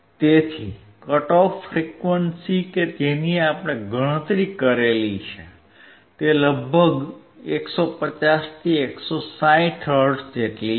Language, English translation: Gujarati, So, the cut off frequency, that we have calculated is about 150 to 160 hertz